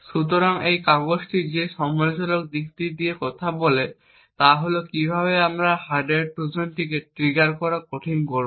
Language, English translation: Bengali, So, the critical aspect what this paper talks about is how would we make triggering the hardware Trojan difficult